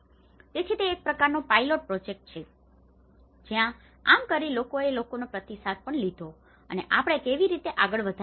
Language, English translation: Gujarati, So, itís a kind of pilot project where by doing so they have also taken the feedback of the people and how we can improve it further